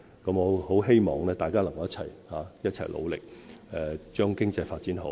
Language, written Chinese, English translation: Cantonese, 我很希望大家能夠一起努力，將經濟發展好。, I earnestly hope that all of us will join hands to promote economic development